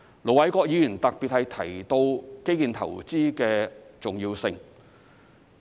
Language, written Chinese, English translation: Cantonese, 盧偉國議員特別提到基建投資的重要性。, Ir Dr LO Wai - kwok has highlighted the importance of infrastructure investment